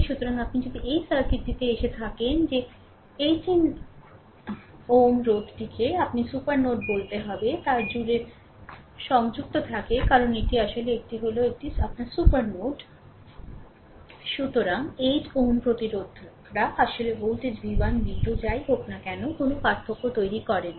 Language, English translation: Bengali, So, if you come to that this circuit that 1 8 ohm resistor is connected across the your what to call that supernode because this is actually this is actually ah this is actually your ah super node, right; so, 8 ohm resistors actually not making any any difference of the voltage v 1, v 2, whatsoever, right